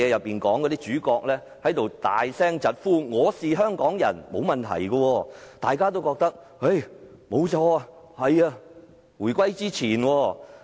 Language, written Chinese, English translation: Cantonese, "當主角大聲疾呼："我是香港人"，大家都認為沒有問題。, In the movie Her Fatal Ways the main character shouted I am a Hong Konger . We did not consider it wrong to say so